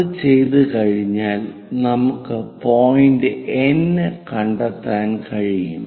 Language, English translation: Malayalam, Once it is done, we will be in a position to locate a point N